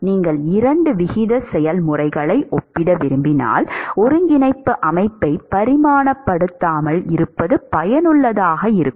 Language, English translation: Tamil, When you want to compare the two rate processes, it is useful to non dimensionalize the coordinate system